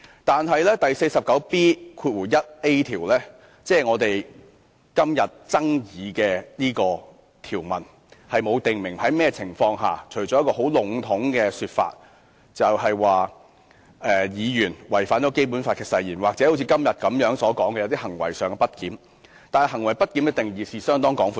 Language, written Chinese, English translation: Cantonese, 但是第 49B 條，即我們今天爭議的條文，並沒有訂明在甚麼情況下適用，除了很籠統地說當議員違反《基本法》誓言，或如今天所討論般當行為上有些不檢點，但行為不檢的定義是相當廣闊的。, Rule 49B1A that is the provision invoked by us today does not state under what circumstances it can be invoked except for the general description of censuring a Member for breach of oath under the Basic Law or misbehaviour as stated today . However the definition of misbehavior can be very wide